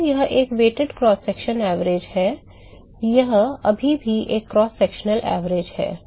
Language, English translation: Hindi, So, that is a weighted cross sectional average, it still a cross sectional average